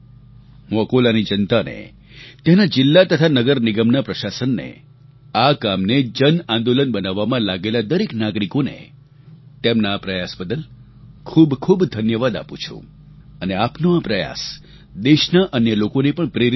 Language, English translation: Gujarati, I congratulate the people of Akola, the district and the municipal corporation's administration, all the citizens who were associated with this mass movement, I laud your efforts which are not only very much appreciated but this will inspire the other citizens of the country